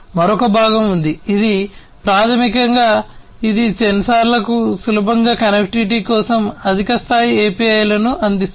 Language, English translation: Telugu, There is another component, which is basically, which provides high level APIs for easier connectivity to the sensors